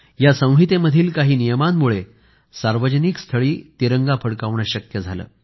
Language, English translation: Marathi, A number of such rules have been included in this code which made it possible to unfurl the tricolor in public places